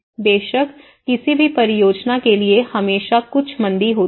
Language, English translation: Hindi, Of course, for any project, there are always some downturns